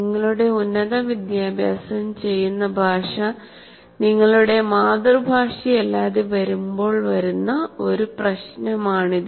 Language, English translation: Malayalam, This is a problem where the language in which you do your higher education is not the same as your